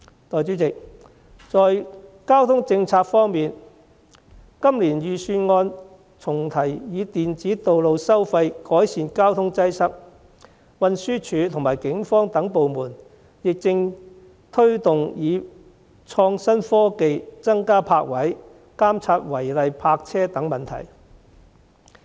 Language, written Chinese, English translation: Cantonese, 代理主席，交通政策方面，今年預算案重提以電子道路收費改善交通擠塞，運輸署和警方等部門亦正推動以創新科技增加泊車位、監察違例泊車等問題。, Deputy President in respect of transport policy the Budget this year again proposes electronic road pricing as a means to alleviate traffic congestion . Departments such as the Transport Department and the Police are also promoting the adoption of innovative technologies to address issues such as increasing car parks and monitoring illegal parking